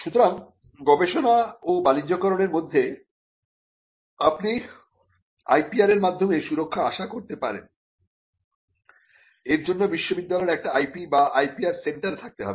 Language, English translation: Bengali, So, between research and commercialization you can envisage protection by way of IPR and for that to happen the university will have to have an IP centre or an IPR centre